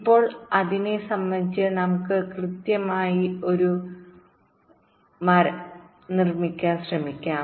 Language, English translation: Malayalam, now, with respect to that, let us try to systematically construct a tree